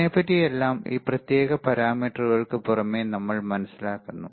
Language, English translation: Malayalam, So, what we also understand is that apart from these particular parameters